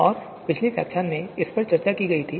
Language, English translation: Hindi, And it was discussed in the previous lecture